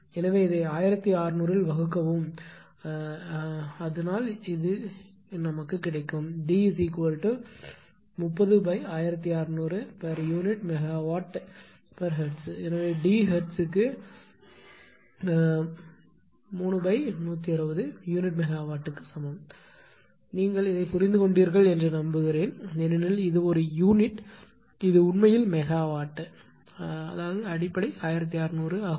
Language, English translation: Tamil, So, D is equal to 3 by 160 per unit megawatt per hertz; I hope you have understood these because it is a real unit this is actually megawatt this is actually megawatt, but base is 1600